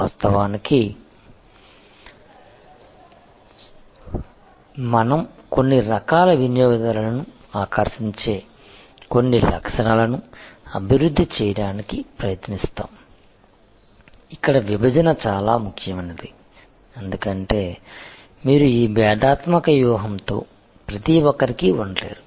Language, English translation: Telugu, So, this is how actually we try to develop certain features that attractors certain type of customers, here segmentation becomes very important, because you cannot be everything to everybody with this differentiation strategy